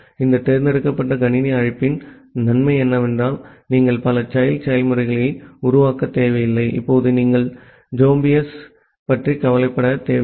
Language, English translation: Tamil, The advantage with this select system call is that, you do not need to create multiple child processes, now no you do not need to worry about the zombies